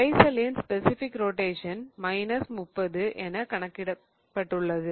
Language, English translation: Tamil, Specific rotation of the material is given as minus 30